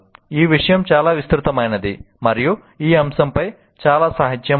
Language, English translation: Telugu, The subject is vast and there is a lot of literature on that